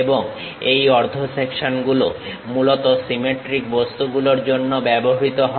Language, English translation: Bengali, And, these half sections are used mainly for symmetric objects